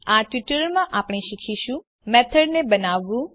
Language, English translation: Gujarati, In this tutorial we will learn To create a method